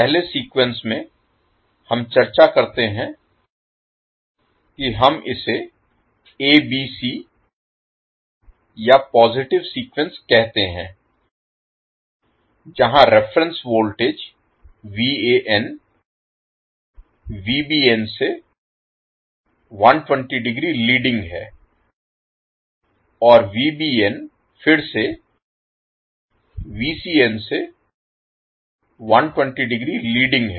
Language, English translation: Hindi, In first sequence we discuss that we call it as ABC or positive sequence where the reference voltage that is VAN is leading VAB sorry VBN by 120 degree and VBN is leading VCN by again 120 degree